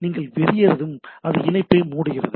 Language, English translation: Tamil, And then once you quit, then it closes the connection